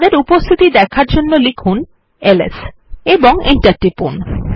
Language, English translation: Bengali, To see there presence type ls and press enter